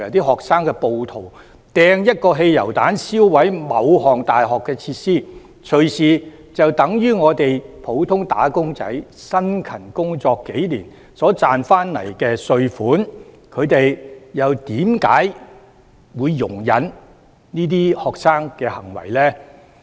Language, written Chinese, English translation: Cantonese, 學生暴徒投擲一個汽油彈燒毀大學的某項設施，隨時就等於普通"打工仔"辛勤工作數年所賺取的稅款，他們為何會容忍這些學生的行為呢？, The cost for any one facility in the universities which has been burnt down by petrol bombs thrown by student rioters may be easily equivalent to the tax payment for a few years of hard work of an ordinary worker . Why would they condone the acts of these students?